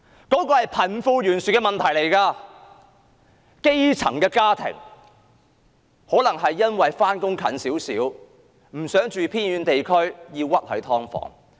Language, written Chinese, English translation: Cantonese, 這是貧富懸殊的問題，基層家庭或因為上班較近，不想住在偏遠地區而屈居於"劏房"。, This is a problem of disparity between the rich and the poor . The grass - roots families may not want to live in remote areas and they can only compromise to live in subdivided units in order to live near their place of work